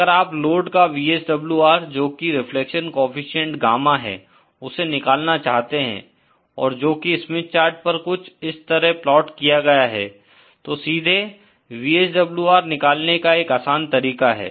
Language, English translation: Hindi, If you want to find out the VSWR of a load which is the reflection coefficient Gamma and which is plotted on the Smith chart like this, then there is a simple way to find out the VSWR directly